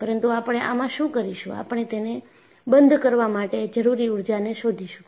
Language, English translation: Gujarati, But, what we will do is, we will find out the energy require to close